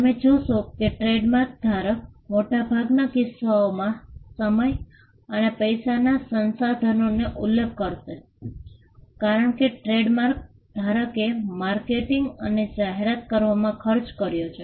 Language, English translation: Gujarati, You will find that the trademark holder will, in most cases mention the amount of time money and resources, the trademark holder has spent in marketing and advertising